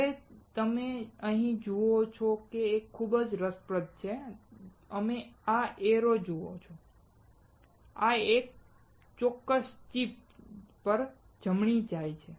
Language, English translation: Gujarati, Now what you see here is very interesting, you see this arrow; this one goes right to this particular chip